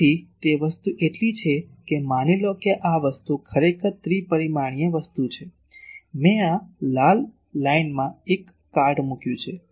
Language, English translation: Gujarati, So, that thing is so, suppose this thing actually is a three dimensional thing, I have put a cart across this red line